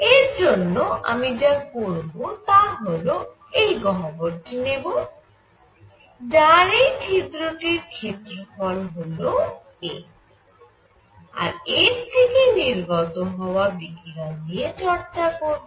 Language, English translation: Bengali, So, for this what I will do is I will take this cavity and this hole has an area a, and consider how much radiation comes out